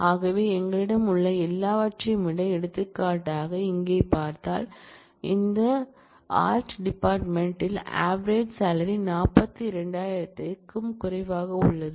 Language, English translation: Tamil, So, of all that we have for example, if we look in here for example, in this music department average salary is less than 42000